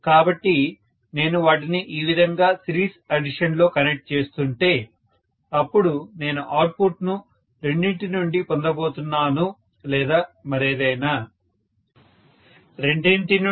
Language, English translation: Telugu, So, if I am connecting them in series addition like this and then I am going to get the output maybe from only both of them or whatever… Both of them